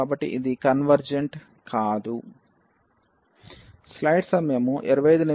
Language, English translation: Telugu, So, this is not convergent